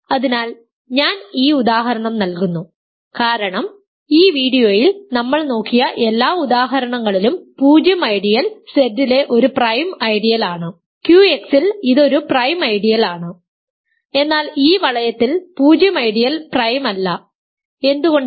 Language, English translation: Malayalam, So, I am giving this example because in all the examples have that we have looked at in this video, the 0 ideal is a prime ideal in Z it is a prime ideal, in Q X it is a prime ideal, but in this ring 0 ideal is not prime, why